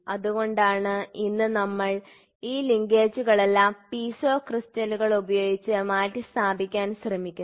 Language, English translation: Malayalam, So, that is why today what we are doing is we are trying to replace all these linkages with Piezo crystals